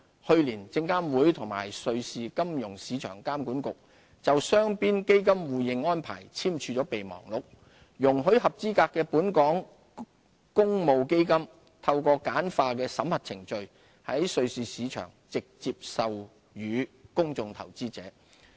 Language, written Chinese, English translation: Cantonese, 去年，證監會與瑞士金融市場監管局就雙邊基金互認安排簽署備忘錄，容許合資格的本港公募基金透過簡化的審核程序，在瑞士市場直接銷售予公眾投資者。, Last year SFC signed a Memorandum of Understanding on mutual recognition of funds with the Swiss Financial Market Supervisory Authority which allows eligible public funds in Hong Kong to gain direct access to the investing public in the Swiss market through a streamlined vetting process